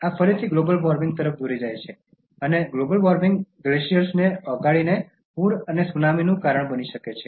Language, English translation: Gujarati, This again leads to Global Warming and Global Warming can cause floods and Tsunamis by making glaciers melt